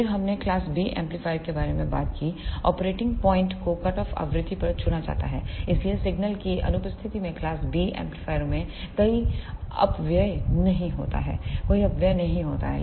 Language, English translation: Hindi, Then we talked about the class B amplifier the operating point is chosen at the cutoff frequency, so there are no dissipation in class B amplifiers in the absence of the signal